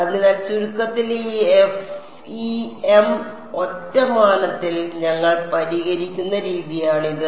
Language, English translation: Malayalam, So, this in a nutshell is the method by which we solve this FEM in one dimension ok